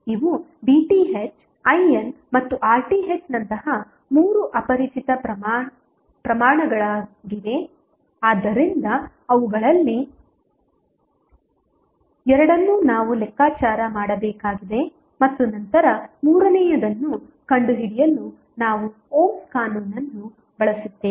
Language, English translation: Kannada, These are the three unknown quantities like V Th, I N and R Th so we need to calculate two of them and then we use the ohms law to find out the third one